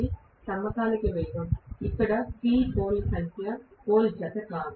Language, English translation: Telugu, It is the synchronous speed, where P is the number of poles not pairs of poles